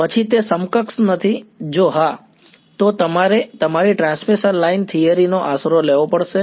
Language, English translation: Gujarati, Then it is not the equipotential, if yeah then you have to take recourse to your transmission line theory